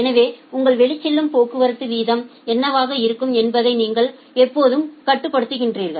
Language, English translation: Tamil, So, you are always regulating that what is going to be your outgoing traffic rate